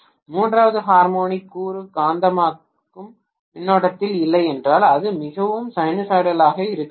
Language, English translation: Tamil, If third harmonic component is not there in the magnetizing current, it has to be fairly sinusoidal